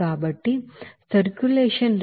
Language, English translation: Telugu, So circulation rate is 18